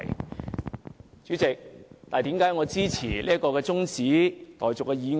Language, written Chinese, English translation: Cantonese, 代理主席，為何我支持這項中止待續議案呢？, Deputy President why do I support the adjournment motion?